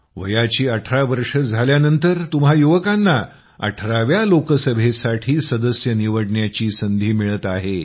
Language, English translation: Marathi, On turning 18, you are getting a chance to elect a member for the 18th Lok Sabha